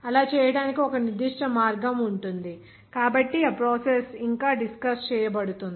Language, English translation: Telugu, There will be a certain way to do that so that process will discuss yet